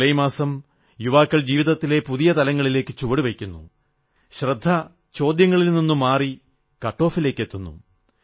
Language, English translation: Malayalam, July is the month when the youth step into a new phase of life, where the focus shifts from questions and veers towards cutoffs